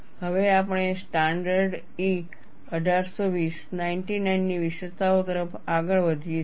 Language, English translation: Gujarati, Now, we move on to features of standard E 1820 99